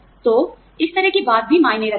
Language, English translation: Hindi, So, this kind of thing, also counts